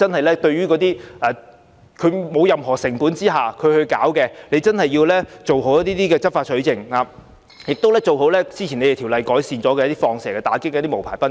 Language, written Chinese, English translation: Cantonese, 那些無牌賓館無需任何成本開設，當局真的要做好執法取證，以及做好"放蛇"工作，以打擊那些無牌賓館。, Those unlicensed guesthouses are opened at no cost . The authorities should really conduct its enforcement activities evidence collection and decoy operations properly in order to combat them